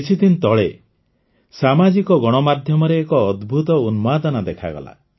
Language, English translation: Odia, A few days ago an awesome craze appeared on social media